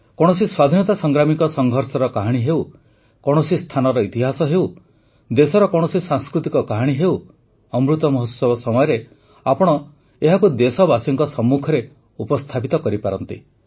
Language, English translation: Odia, Friends, be it the struggle saga of a freedom fighter; be it the history of a place or any cultural story from the country, you can bring it to the fore during Amrit Mahotsav; you can become a means to connect the countrymen with it